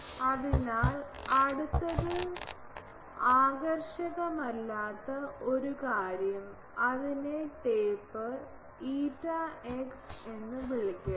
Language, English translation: Malayalam, So, the next one non uniform thing let me call it taper t eta x